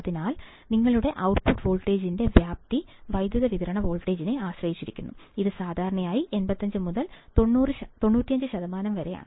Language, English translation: Malayalam, So, the range of your output voltage depends on the power supply voltage, and is usually about 85 to 95 percent